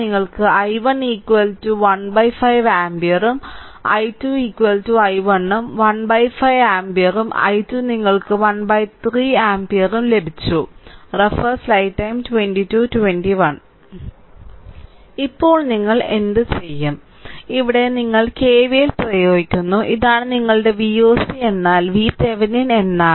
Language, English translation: Malayalam, So, let me clear it so that means, you got i 1 is equal to 1 by 5 ampere and i 2 is equal to say i 1 we got 1 by 5 ampere right and i 2 you got 1 by 3 ampere, This we got now what you do, in this here you apply here in your what you call KVL, this is your V oc; o c means V Thevenin